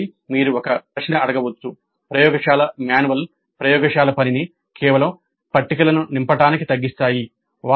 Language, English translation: Telugu, Laborative manuals reduce the laboratory work to merely filling up the tables